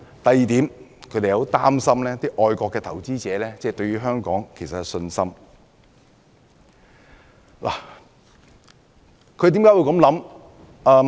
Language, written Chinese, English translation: Cantonese, 第二，他們擔心會影響外國投資者對香港的信心。, Second they are worried that it will affect the confidence of foreign investors in Hong Kong